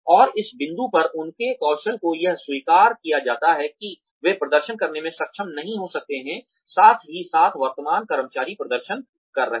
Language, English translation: Hindi, And, at this point, their skills it is accepted that, they may not be able to perform, as well as, the current employees are performing